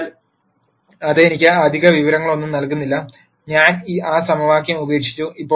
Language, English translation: Malayalam, So, that does not give me any extra information so, I have dropped that equation